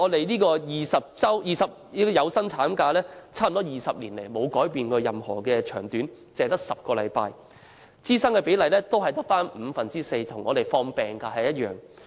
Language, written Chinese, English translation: Cantonese, 然而，我們的有薪產假待遇近20年沒有改變，一直只有10星期，支薪比例只有五分之四，跟放取病假一樣。, However our paid maternity leave period has remained unchanged for nearly 20 years being only 10 weeks and the pay is only four fifths of the normal wage same as that for sick leave